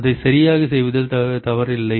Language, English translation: Tamil, What is wrong in doing that